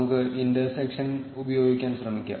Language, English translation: Malayalam, Let us try using the intersection